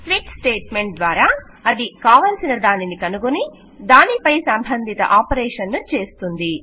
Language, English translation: Telugu, And through a switch statement it detects which one and performs the relevant operation to it